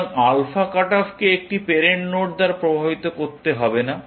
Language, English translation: Bengali, So, the alpha cut off does not have to be induced by a parent node